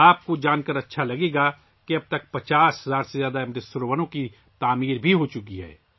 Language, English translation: Urdu, You will be pleased to know that till now more than 50 thousand Amrit Sarovars have been constructed